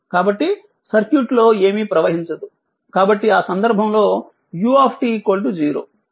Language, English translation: Telugu, So, nothing is showing in the circuit, so in that case u t is equal to 0